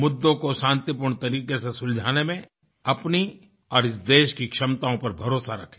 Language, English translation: Hindi, They should have faith in their own capabilities and the capabilities of this country to resolve issues peacefully